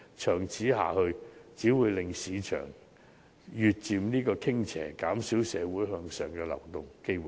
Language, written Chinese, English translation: Cantonese, 長此下去，只會令市場越趨傾斜，減少社會向上流動的機會。, If this situation remains unchanged the market will only become more and more tilted and the opportunities of upward social movement will be reduced too